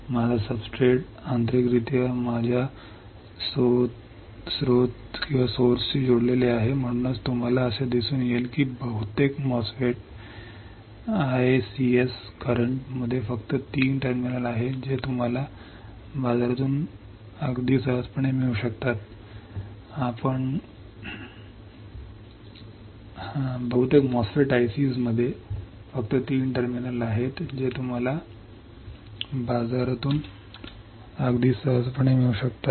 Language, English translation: Marathi, My substrate is internally connected to my source, that is why you will find that there are only three terminals in most of the MOSFET I cs that you can get from the market all right very easy super easy right